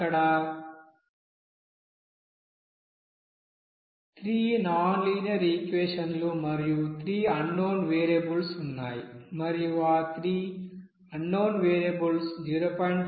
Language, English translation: Telugu, Here we have 3 nonlinear equation 3 unknown variables and those 3 unknown variables are 0